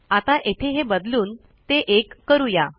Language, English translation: Marathi, Lets change this to 1